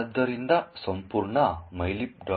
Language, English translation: Kannada, So the entire mylib